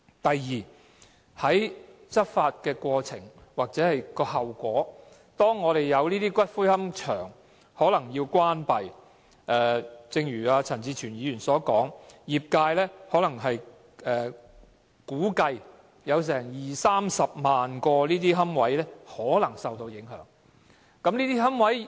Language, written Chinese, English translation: Cantonese, 第二，執法的後果是有龕場可能要關閉，正如陳志全議員所說，業界估計有二三十萬個龕位可能受到影響。, Second law enforcement may result in possible closing down of certain columbaria . As indicated by Mr CHAN Chi - chuen the industry estimates that some 200 000 to 300 000 niches will possibly be affected